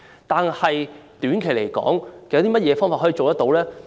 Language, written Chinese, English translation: Cantonese, 短期方面有甚麼可以做到呢？, What can be done in the short term?